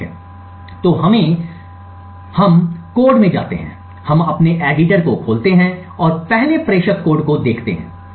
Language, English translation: Hindi, Okay, so let us go into the code we will open our editor and look at the sender code first